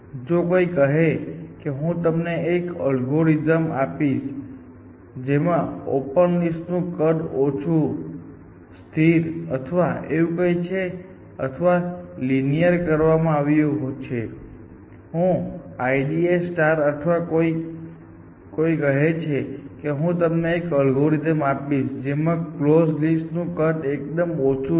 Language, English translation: Gujarati, If somebody says that you can, I will give an algorithm in which, the open list sizes is minimize, made constant or something like that or made linear like, I D A star or it somebody says that, I will give you an algorithm, in which the close list side is